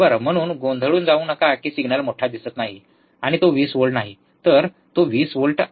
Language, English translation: Marathi, So, do not get confuse that the signal is not looking higher and it is not 20 volt it is 20 volts